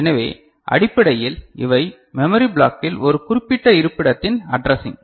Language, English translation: Tamil, So, basically these are the addressing of a particular location in the memory block